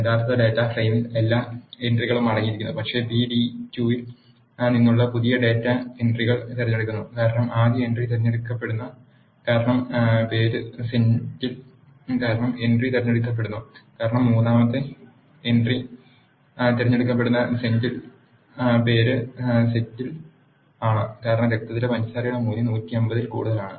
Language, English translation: Malayalam, The original data frame contains all the entries, but the new data from pd2 selects these entries because the first entry is selected because the name is Senthil, the second entry is selected because the name is Senthil the third entry is selected because the blood sugar value is greater than 150